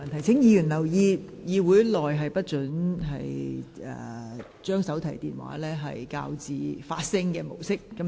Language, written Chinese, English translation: Cantonese, 請議員留意，會議廳內手提電話不應調校至發聲模式。, Will Members please pay attention to this . Mobile phones should not be adjusted to the sound - emitting mode inside the Chamber